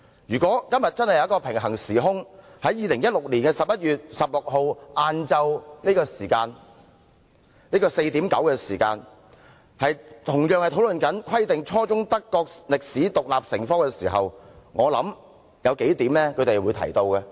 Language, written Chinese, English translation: Cantonese, 如果今天真的有一個平行時空，在2016年11月16日下午4時45分，德國人同樣正在討論"規定初中德國歷史獨立成科"時，我相信他們會提出數點。, If parallel realities actually exist today at 4col00 pm on 16 November 2016 and the Germans are likewise discussing the subject of Requiring the teaching of German history as an independent subject at junior secondary level I believe they will make several points